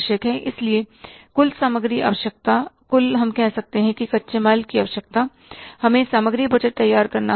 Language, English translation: Hindi, So, total inventory requirement, total, say, raw material requirement, we will have to prepare the inventory budget